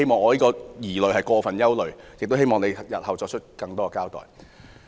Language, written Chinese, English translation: Cantonese, 或許我是過分憂慮，故希望局長日後能多作交代。, Perhaps I am overly worried so I hope that the Secretary can give more explanation about this in the future